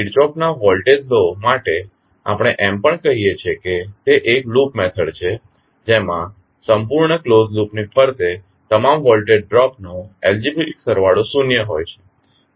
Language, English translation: Gujarati, For Kirchhoff’s voltage law, we also say that it is loop method in which the algebraic sum of all voltage drops around a complete close loop is zero